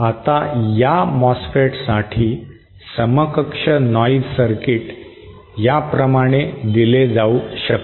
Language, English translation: Marathi, Now the equivalent noise circuit for this MOSFET can be given like this